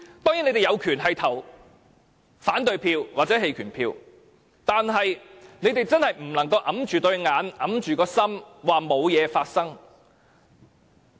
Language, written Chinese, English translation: Cantonese, 你們當然有權投反對票或棄權票，但卻真的不能閉起雙眼、埋沒良心地說沒事發生。, You certainly have the right to vote against the motion or abstain from voting but you really cannot turn a blind eye to the situation and speak against your conscience saying that nothing has happened